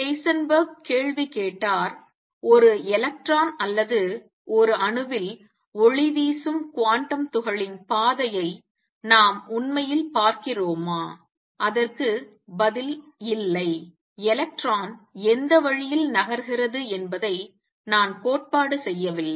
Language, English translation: Tamil, Heisenberg asked the question do we really see the trajectory of an electron or a quantum particle which is radiating in an atom, and the answer is no I do not theory no which way the electronic moving